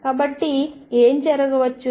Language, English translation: Telugu, So, what could happen